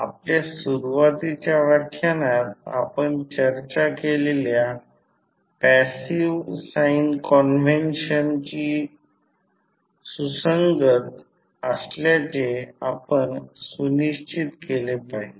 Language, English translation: Marathi, We have to make sure that they are consistent with the passive sign convention which we discussed in our initial lectures